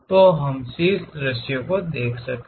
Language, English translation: Hindi, So, let us look at top view